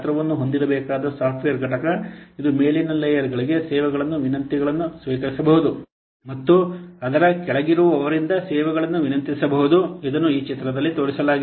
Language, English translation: Kannada, The software component which has to be sized, it can receive request for services from layers above and it can request services from those below it